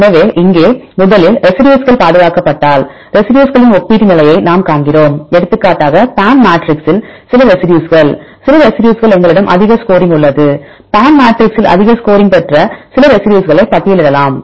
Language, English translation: Tamil, So, here first we see the relative position of residues, if any residues preserved; for example, some residues when the PAM matrix, we have high score for some residues right can you list few residues which have high score in the PAM matrix